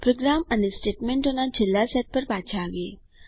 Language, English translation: Gujarati, Coming back to the program and the last set of statements